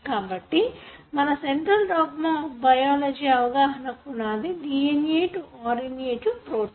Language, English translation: Telugu, So, that is the foundation for our understanding of central dogma of biology; DNA to RNA to protein